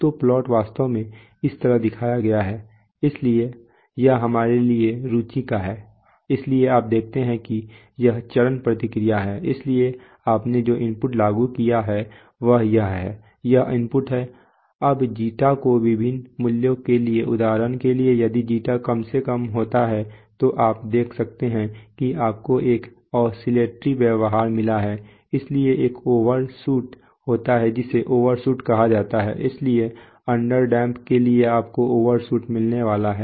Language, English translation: Hindi, So the plot actually looks like this, so this is of interest to us so you see that this is the step response so the you so the input applied is this, this is the input, now for different values of Zeta for example if as Zeta goes to lower and lower values you can see that you get an oscillatory behavior, so there is an overshoot this is called an overshoot, so for under damped sensors you are going to get an overshoot